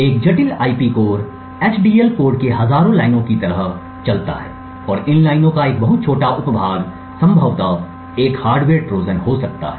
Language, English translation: Hindi, A complicated IP core would run into like tens of thousands of lines of HDL code and a very small subset of these lines could potentially be having a hardware Trojan